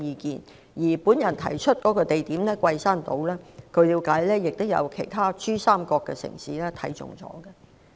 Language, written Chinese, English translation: Cantonese, 據了解，我提出的地點桂山島亦有其他珠三角城市看中。, To my understanding Guishan Island a location proposed by me has also been picked by other cities in the Pearl River Delta